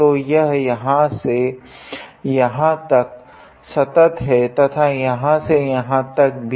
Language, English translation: Hindi, So, it is continuous from here to here and then here to here